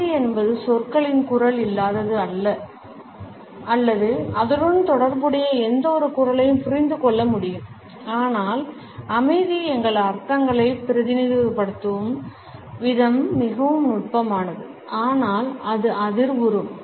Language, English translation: Tamil, Silence can be understood as a vocal absence of words or any associated voice yet the way the silence represents our meanings is very subtle and yet it is resonant